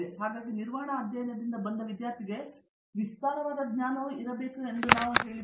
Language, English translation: Kannada, So, we have said that student who is from a management study should have breadth knowledge also